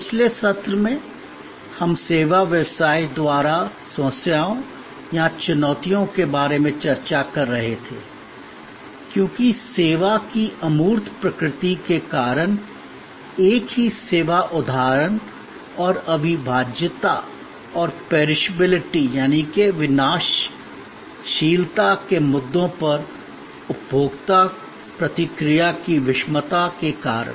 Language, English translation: Hindi, In the last session, we were discussing about the problems or challenges post by the service business, because of the intangible nature of service, because of the heterogeneity of consumer reaction to the same service instance and the inseparability and perishability issues